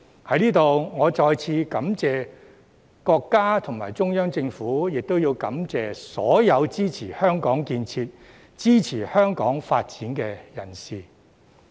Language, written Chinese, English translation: Cantonese, 在此，我再次感謝國家和中央政府，亦感謝所有支持香港建設、支持香港發展的人士。, I wish to take this opportunity to express my gratitude to our country and the Central Government again and to thank all those who support the construction works and development of Hong Kong